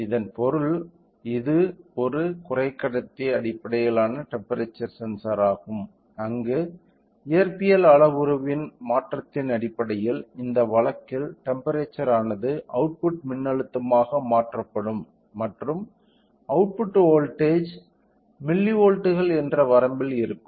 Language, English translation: Tamil, It means it is basically a semiconductor based temperature sensor where based upon the change in the physical parameter in this case is the temperature will be converted into then electrical output voltage and that electrical output voltage is milli volts in this range